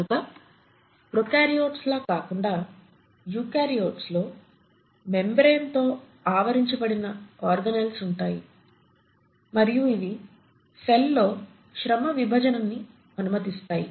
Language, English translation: Telugu, So the eukaryotes unlike the prokaryotes have membrane bound organelles, and the purpose is this allows the cell to have a division of labour